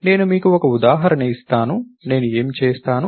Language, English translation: Telugu, Let me give you one example that I would, so what would I do